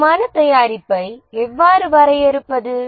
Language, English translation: Tamil, How do we define a quality product